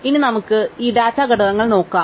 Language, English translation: Malayalam, Now, let us go back and look at these data structures